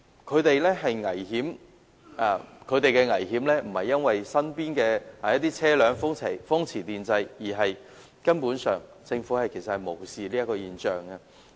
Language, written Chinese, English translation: Cantonese, 市民面對危險並非因為身邊經過的車輛風馳電掣，而是政府根本無視這現象。, The public are exposed to dangers not because the cars passing by are running at high speed but because the Government has basically turned a blind eye to this phenomenon